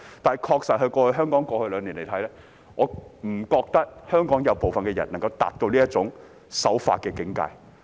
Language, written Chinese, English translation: Cantonese, 然而，回望過去兩年，我不認為部分香港人能夠達到這種守法的境界。, However looking back at the last two years I do not think some people in Hong Kong can be law - abiding to this extent